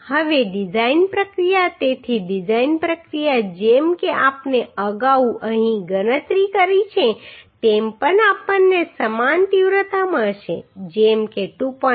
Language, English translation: Gujarati, Now design process so design process as we have calculated earlier here also we will get similar magnitude like 2